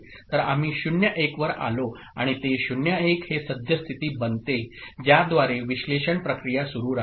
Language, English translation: Marathi, So we have come to 0 1 and that 0 1 becomes the current state, okay, through which the analysis process will continue with which the analysis process will continue